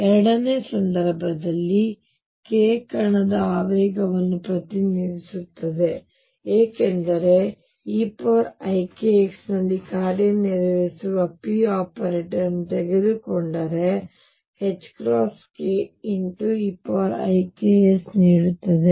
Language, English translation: Kannada, In the second case k represents the momentum of the particle, how so; because if I take p operator operating on e raise to i k x I get h cross k e raise to i k x